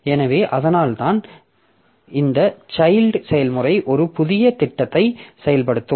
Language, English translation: Tamil, So, that is why this child process will be executing a new program